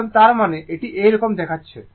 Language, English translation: Bengali, Now, that means if you look like this right